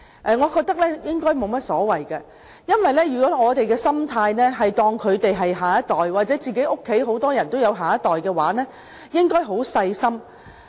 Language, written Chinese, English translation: Cantonese, 我覺得這樣沒有問題，因為如果我們視他們為下一代，正如大家家裏都有下一代，便應該很細心聆聽他們的心聲。, I see no problem with this because if we treat them as our children as the children in our own families then we should listen patiently to what they have to say